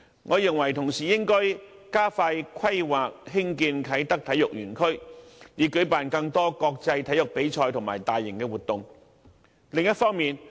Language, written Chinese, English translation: Cantonese, 我認為當局應同時加快規劃興建啟德體育園區，以舉辦更多國際體育比賽和大型活動。, I hold that the authorities should also expedite the planning and construction of the Kai Tak Sports Park so that more international sports competitions and large - scale events can be organized